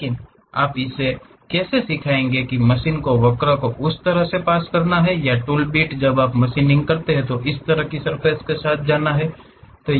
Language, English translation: Hindi, But, how will you teach it to that machine the curve has to pass in that way or the tool bit when you are machining it has to go along that kind of surface